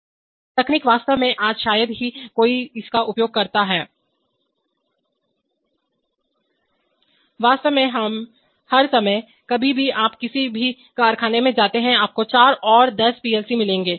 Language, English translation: Hindi, So very old technolog,y actually nowadays hardly anybody uses it, in fact all the time, anywhere you go to any factory, you will find tens of PLC’s all around